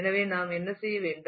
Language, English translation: Tamil, So, what we do is